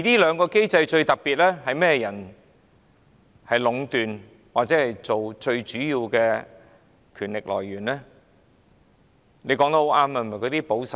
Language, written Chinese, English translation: Cantonese, 這個機制由甚麼人壟斷，最主要的權力來源又是甚麼？, Who have monopolized this mechanism and from where do they derive their major powers?